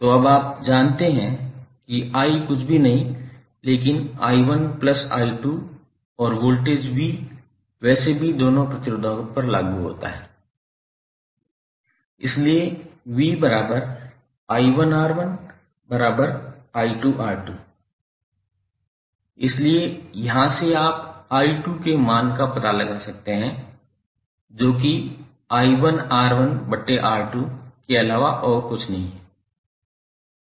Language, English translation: Hindi, So now you know that i is nothing but i1 plus i2 and voltage V is anyway applied across both of the resistors, so V is nothing but i1, R1 or i2 R2, right